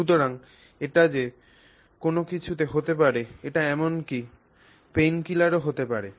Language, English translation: Bengali, So, it could be anything, it could even be a painkiller